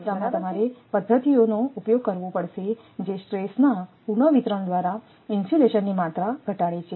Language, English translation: Gujarati, So, for this case you have to use methods which reduce the amount of insulation by redistribution of stress